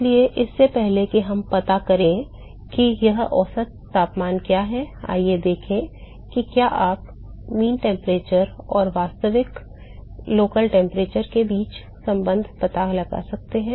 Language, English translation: Hindi, So, before we go and find out what is this mean temperature, let us see if you can find the relationship between the mean temperature and the actual local temperature